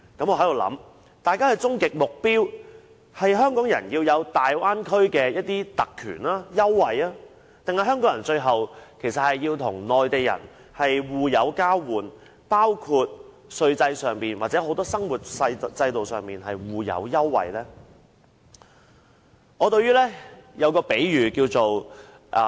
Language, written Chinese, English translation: Cantonese, 我不禁想大家的終極目標，究竟是要讓香港人擁有在大灣區的特權、優惠，還是香港人最後要與內地人互有交換，包括稅制上或生活制度上互有優惠呢？, I cannot help but wonder what our ultimate goals are . Are we simply asking for privileges and concessions for Hong Kong people in the Bay Area or ultimately an exchange of benefits between Hong Kong people and Mainland people including those in tax systems or other systems in daily life?